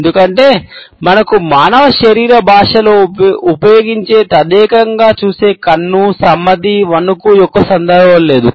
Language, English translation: Telugu, Because we do not have the context of the stare, the eye, the nod, the shake that we use to in human body language